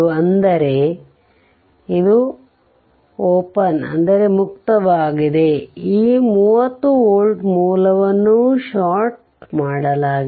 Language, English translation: Kannada, That is, is this is open this 30 volt source is shorted